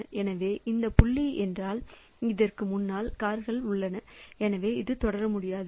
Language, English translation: Tamil, So, this dot means there are cars in front of this also so this cannot proceed